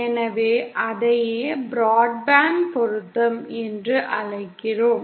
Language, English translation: Tamil, So that is what we call broadband matching